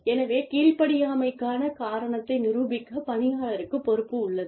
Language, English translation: Tamil, So, the onus lies on the employee, to prove the reason for, insubordination